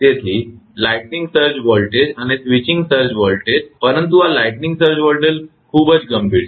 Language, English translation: Gujarati, So, lightning surge voltage and switching surge voltage, but these lightning surge voltages is a very severe one